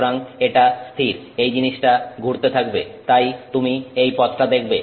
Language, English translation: Bengali, So, it is stationary, this, this thing keeps rotating so you see that, you know, path that it is going to see